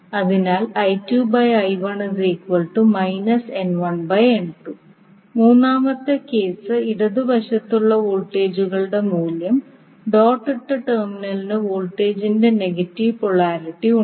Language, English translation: Malayalam, And the third case, the value of the voltages in left side the dotted terminal has negative polarity of the voltage